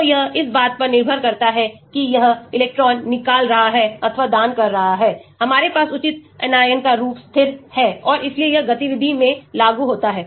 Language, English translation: Hindi, so depending upon whether it is electron withdrawing or donating, we have the proper anion form getting stabilized and hence implement in the activity